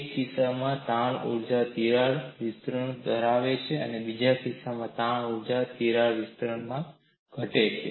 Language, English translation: Gujarati, In one case, the strain energy increases by crack advancement and in another case, strain energy decreases by crack advancement